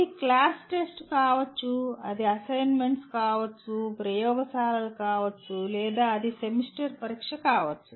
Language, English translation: Telugu, It could be class test, it could be assignments, it could be laboratory or it could be the end semester examination